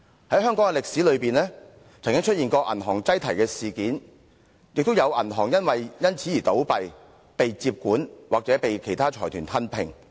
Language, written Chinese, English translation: Cantonese, 在香港的歷史中，曾經出現銀行擠提事件，亦有銀行因此而倒閉、被接管或被其他財團吞併。, There were instances of bank run in the history of Hong Kong resulting in some of the banks closing down being taken over by the Government or swallowed up by other groups